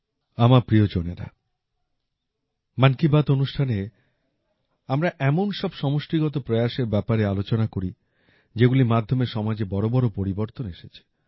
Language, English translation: Bengali, My family members, in 'Mann Ki Baat' we have been discussing such collective efforts which have brought about major changes in the society